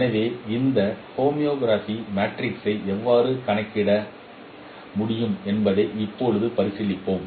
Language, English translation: Tamil, So now we will be considering how this homography matrix could be computed